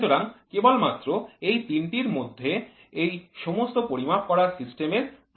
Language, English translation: Bengali, So, within these three only all these measured system finds its application